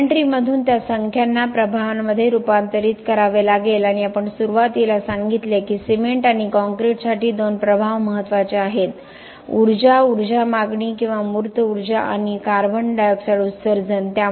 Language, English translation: Marathi, From the inventory will have to convert those numbers to impacts and we said in the beginning that there are two impacts which are important for cement and concrete, energy, energy demand or embodied energy and the CO2 emissions